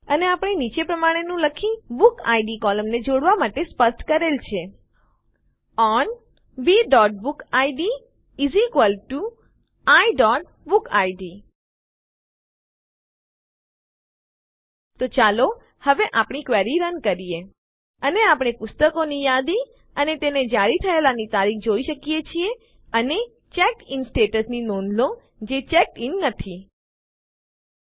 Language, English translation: Gujarati, and we have specified the BookId column for joining by writing: ON B.bookid = I.BookId So let us run our query now, and we see a list of books and their issue date and notice that the CheckedIn status not checked in